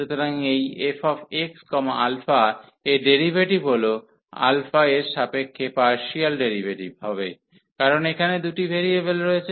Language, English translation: Bengali, So, the derivative of this f x alpha will be the partial derivative with respect to alpha, because there are two variables here